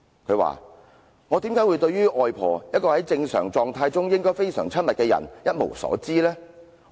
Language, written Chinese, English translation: Cantonese, 她說："我為甚麼對於外婆，一個在正常狀態中應該非常親密的人，一無所知呢？, She said to this effect Why am I unable to recall anything about my grandmother who should be a very intimate person in normal circumstances?